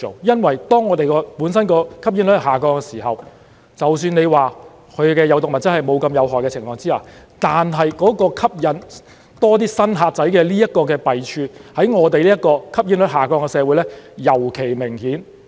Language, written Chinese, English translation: Cantonese, 因為當我們本身的吸煙率下降的時候，即使它的有毒物質沒有那麼有害的情況之下，但吸引更多"新客仔"的弊處在我們這個吸煙率下降的社會尤其明顯。, As our smoking prevalence has been falling even if the toxicants of these products are not so harmful the evils of attracting more new customers are especially obvious in our society where the smoking prevalence has been decreasing